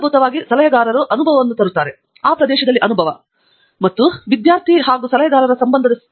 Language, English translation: Kannada, So, basically, the advisor brings experience; experience in that area, and in that relationship as an advisor and a student relationship